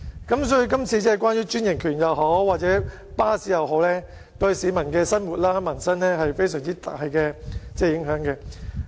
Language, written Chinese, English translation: Cantonese, 因此，這項關於專營權或巴士服務的決議案，對市民的生活或民生均有非常大的影響。, Hence this proposed resolution relating to the franchise of bus services will have extremely significant impact on the daily life of the public or peoples livelihood